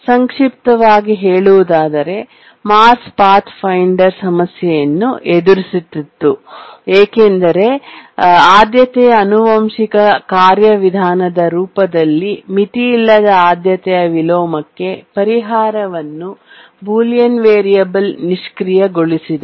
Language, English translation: Kannada, In summary, I can say that the Mars 5th Pathfinder was experiencing problem because the solution to the unbounded priority inversion in the form of a priority inheritance procedure was disabled by the bullion variable